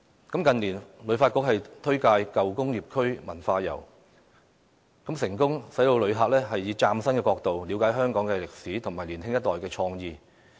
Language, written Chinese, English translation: Cantonese, 近年，旅遊發展局推介舊工業區文化遊，成功讓旅客以嶄新角度了解香港的歷史和年輕一代的創意。, The Hong Kong Tourism Board has been promoting cultural tours to the old industrial areas in recent years and achieved success in enabling visitors to look at Hong Kongs history from new perspectives and learn also the creativity of our younger generation